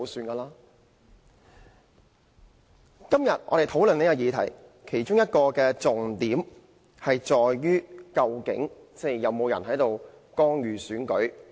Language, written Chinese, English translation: Cantonese, 我們今天討論這項議案，其中一個重點是究竟有沒有人干預選舉？, It was not and never is . Regarding the motion under debate today one crucial point is whether any person has actually interfered in the election